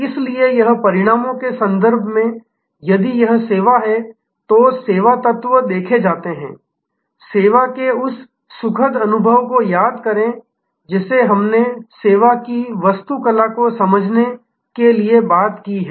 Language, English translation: Hindi, So, this in terms of the results, if the service is, service elements are viewed, remember that flower of service which we have talked about to understand the architecture of the service